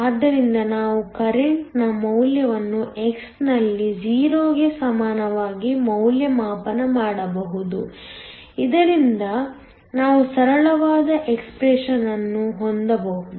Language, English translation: Kannada, So, we can evaluate the value of the current at x equal to 0, so that we can have a simpler expression